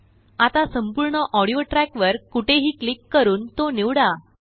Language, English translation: Marathi, Now select the whole audio track by clicking anywhere on it